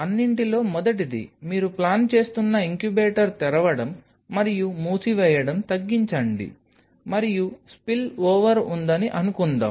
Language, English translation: Telugu, First of all, minimize the opening and closing of the incubator you are plan it, and suppose there is spillover